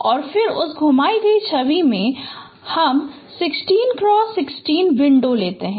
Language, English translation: Hindi, So around that key point we can take a 16 cross 16 square window